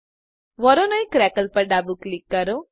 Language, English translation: Gujarati, Left click Voronoi crackle